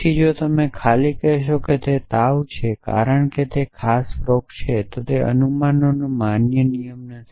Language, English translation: Gujarati, Then, if you simply say that just because it is fever it is this particular disease not a valid rule of inference